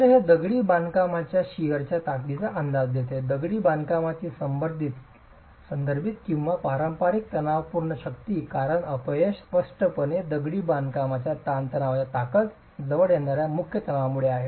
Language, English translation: Marathi, So, this provides an estimate of the sheer strength of masonry, the referential or the conventional tensile strength of masonry because the failure is clearly due to the principal tension approaching the tensile strength of masonry